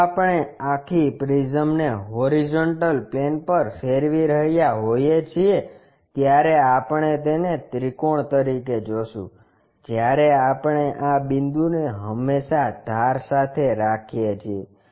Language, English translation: Gujarati, If, we are rotating this entire prism on horizontal plane we will see it like a triangle, when we are projecting that this point always with the edge